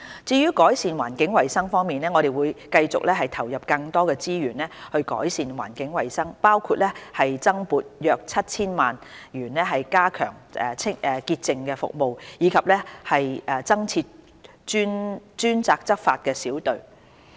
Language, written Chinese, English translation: Cantonese, 至於改善環境衞生方面，我們會繼續投入更多資源改善環境衞生，包括增撥約 7,000 萬元加強潔淨服務，以及增設專責執法小隊。, On improving environmental hygiene we will continue to allocate more resources to improving environmental hygiene including the allocation of an additional funding of 70 million to strengthen cleansing services and the setting up of additional dedicated enforcement teams